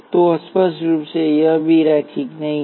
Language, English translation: Hindi, So, clearly this is also not linear